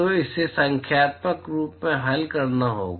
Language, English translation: Hindi, So, this has to be solved numerically